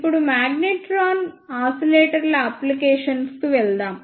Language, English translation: Telugu, Now, let us move onto the applications of magnetron oscillators